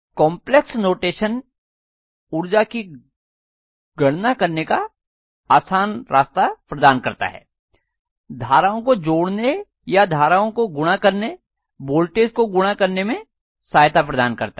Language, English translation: Hindi, So complex notation gives us a very easy way for calculating power, calculating summation of currents or multiplication of currents, multiplication of voltages and so on